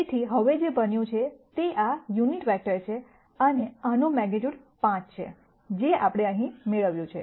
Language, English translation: Gujarati, So now what has happened is this is a unit vector and this a has magnitude 5, which is what we derived here